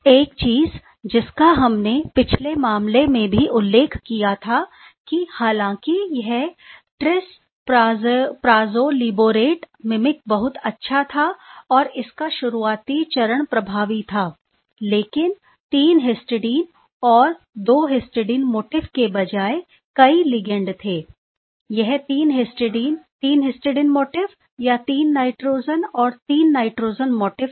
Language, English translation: Hindi, One of the thing that we mention in the last case that although this trispyrazolylborato mimicking was quite good and the early stage of those mimicking those are effective mimic, but one two many ligand were there instead of 3 histidine and 2 histidine motif, it was 3 histidine 3 histidine motif or 3 nitrogen and 3 nitrogen motif